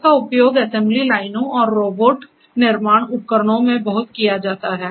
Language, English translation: Hindi, It is used in assembly lines and robotic manufacturing devices a lot